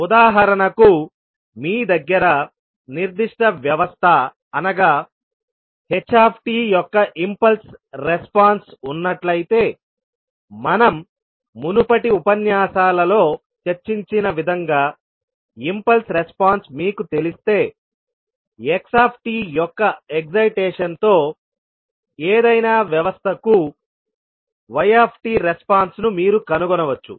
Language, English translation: Telugu, For example if you have the impulse response of a particular system that is ht, which we discuss in our previous lectures, so if you know the impulse response, you can find the response yt for any system with the excitation of xt